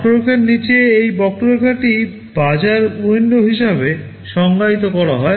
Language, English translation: Bengali, This curve area under the curve is defined as the market window